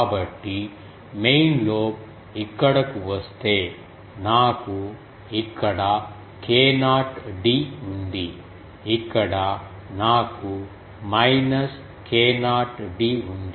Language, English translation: Telugu, So, you see that if the main lobe comes here so I have a k not d here I have a minus k not d here